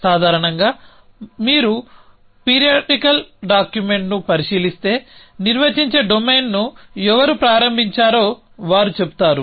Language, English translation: Telugu, So typically if you will look at the periodical document you would say they who start of the defining domain